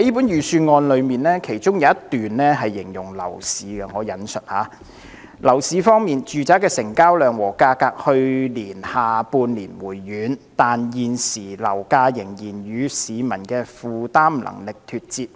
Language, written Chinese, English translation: Cantonese, 預算案有一段形容樓市情況："樓市方面，住宅的成交量和價格去年下半年回軟，但現時樓價仍然與市民的負擔能力脫節。, The Budget describes the property market with this paragraph and I quote On the property market residential property transactions and prices fell in the latter half of last year but current flat prices are still out of line with peoples affordability